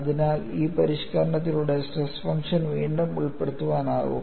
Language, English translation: Malayalam, So, with this modification, the stress function also can be recast